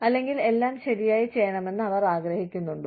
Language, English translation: Malayalam, Or, do they want everything, to be done, right